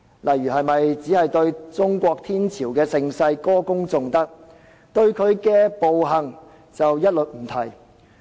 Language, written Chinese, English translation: Cantonese, 是否只對中國天朝的盛世歌功頌德，但對其暴行卻一律不提？, Should we only sing praises of the flourishing periods of the Chinese empire but mention nothing about its atrocities?